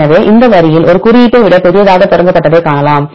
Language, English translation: Tamil, So, in this line you can see this started with the greater than symbol